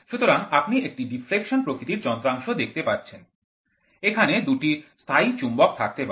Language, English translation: Bengali, So, you can see in a deflection type instruments, you can have a permanent magnets